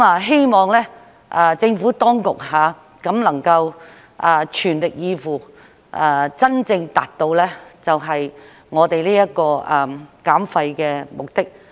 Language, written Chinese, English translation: Cantonese, 希望政府當局能夠全力以赴，真正達到我們的減廢目的。, I hope that the Administration will spare no effort to truly achieve our goal of waste reduction